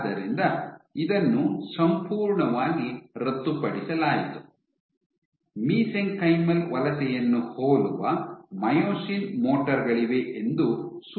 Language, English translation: Kannada, So, this was completely abolished, suggesting that you have myosin motors once again similar to mesenchymal migration